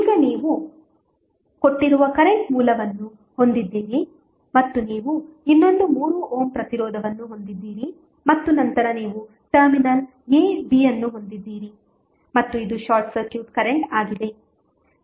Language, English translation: Kannada, Now, you have the given current source and you have another 3 ohm resistance and then you have terminal a, b and this is the short circuit current